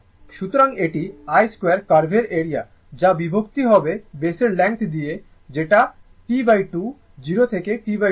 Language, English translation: Bengali, So, this is area of the I square curve divided by the length of the base that is your T by 2, 0 to T by 2